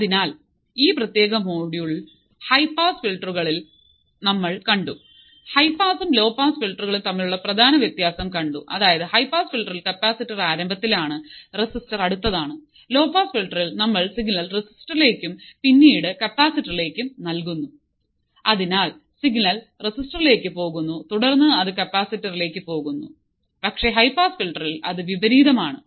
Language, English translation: Malayalam, So, we have seen in this particular module high pass filters, we have seen the main difference between high pass and low pass filters is that in the high pass filter the capacitor is at the starting and the resistor is next; in the low pass filter we feed the value to resistor and then to capacitor